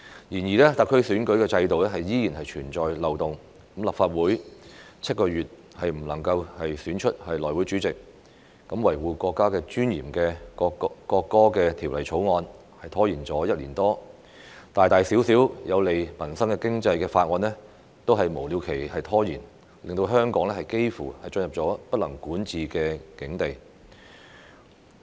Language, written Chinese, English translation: Cantonese, 然而，特區選舉制度依然存在漏洞，立法會7個月也未能選出內務委員會主席，維護國家尊嚴的《國歌條例草案》拖延了1年多，大大小小有利民生經濟的法案均被無了期拖延，令香港幾乎進入不能管治的境地。, The Legislative Council was unable to elect the Chairman of the House Committee for seven months . The National Anthem Bill which sought to uphold the dignity of the country was delayed for more than a year . Major and minor bills beneficial to peoples livelihood and the economy were delayed indefinitely making Hong Kong almost ungovernable